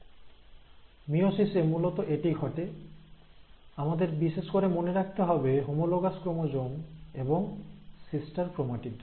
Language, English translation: Bengali, So this is what happens in meiosis and we have to remember the terms, mainly the homologous chromosomes and sister chromatids